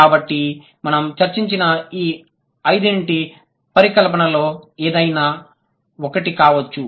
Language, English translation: Telugu, So, the hypothesis could be any of these five that we have discussed